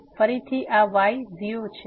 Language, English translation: Gujarati, So, again this is 0